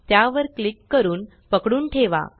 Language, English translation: Marathi, Let us click and hold